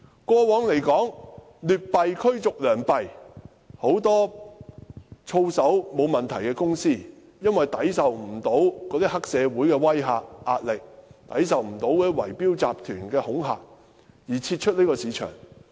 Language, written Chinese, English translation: Cantonese, 過往劣幣驅逐良幣，很多操守並無問題的公司無法抵受黑社會的威嚇和壓力，以及圍標集團的恐嚇，因而撤出這個市場。, Over the years we have seen how bad money drives out good in the sense that many companies without any professional ethics problems have withdrawn from this market as they are unable to stand the threats and pressure from triads and also the intimidation of bid - rigging syndicates